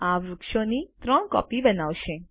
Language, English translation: Gujarati, This will create three copies of the trees